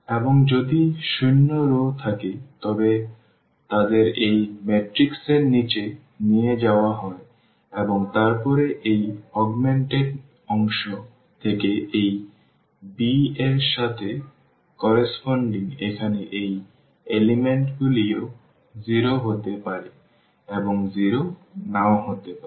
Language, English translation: Bengali, And if there are the zero rows they are they are taken to this bottom of this matrix and then from this augmented part which was correspond to this b here these elements may be 0 and may not be 0